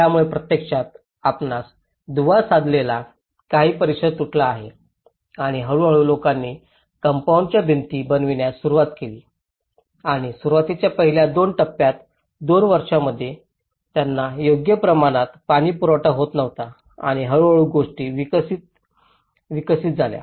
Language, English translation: Marathi, So that has actually broken certain neighbourhood you know linkages and gradually people started in making the compound walls and initially in the first two stages, two years they were not having proper water supply and gradually things have developed